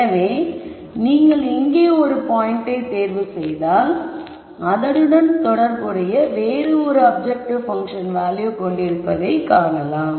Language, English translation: Tamil, So, if you pick a point here then you would have a corresponding objective function value